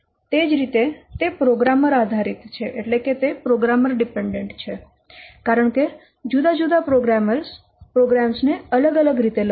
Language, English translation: Gujarati, Similarly, it is programmer dependent because different programmers will write the program programs differently